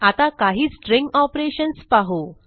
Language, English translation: Marathi, Let us look at a few string operations